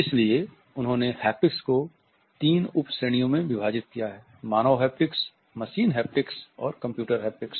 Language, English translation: Hindi, So, he has subdivided haptics into three subcategories Human Haptics, Machine Haptics and Computer Haptics